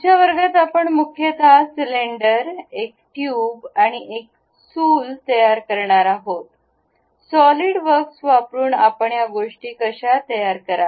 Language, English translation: Marathi, In today's class mainly we will construct, a cylinder, a tube, and a hearth, how do you construct these things using Solidworks